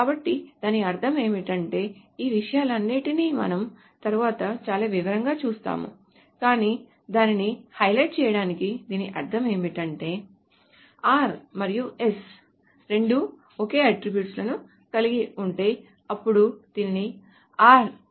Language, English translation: Telugu, So what do I mean by that is that we will go over all of these things in probably much more detail later but just to highlight it what it means essentially is that if both R and A have the same attribute A, then it should be called R